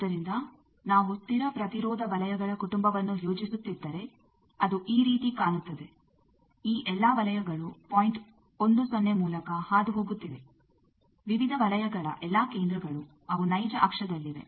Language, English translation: Kannada, So, you see if we plot the family of constant resistance circles it looks like these, all these circles are passing through the point 1 0, all the centers of the various circles they are on the real axis of the thing